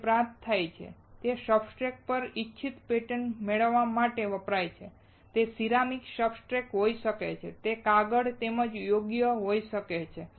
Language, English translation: Gujarati, It is obtained to it is used to obtain desired patterns right on the substrate it can be ceramic substrate it can be paper as well right